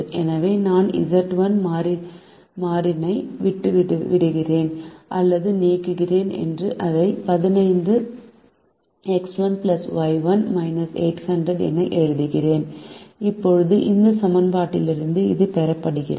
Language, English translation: Tamil, so i am leaving out or eliminating the variable z one and writing it has fifteen into x one plus y, one minus eight hundred